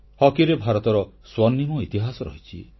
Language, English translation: Odia, India has a golden history in Hockey